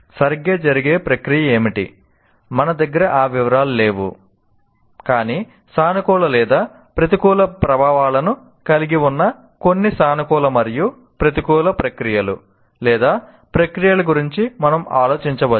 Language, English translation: Telugu, We do not have that amount of detail, but we can think of some positive and negative processes that are processes that have either positive or negative influences